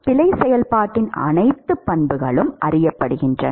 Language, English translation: Tamil, And all the properties of the error function is known